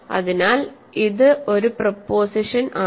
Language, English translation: Malayalam, So, this is a proposition